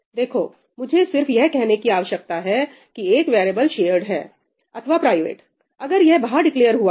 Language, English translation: Hindi, Look, I only need to say whether a variable is shared or private if it has been declared outside